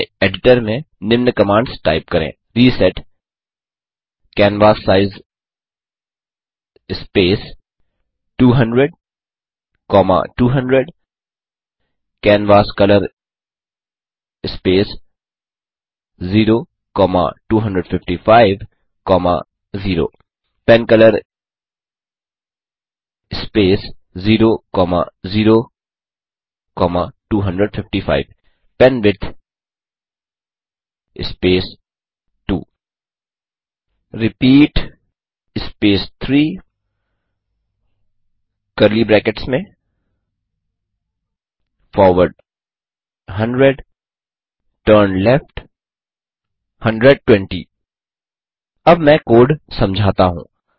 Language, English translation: Hindi, Type the following commands into your editor: reset canvassize space 200,200 canvascolor space 0,255,0 pencolor space 0,0,255 penwidth space 2 repeat space 3 within curly braces { forward 100 turnleft 120 } Let me now explain the code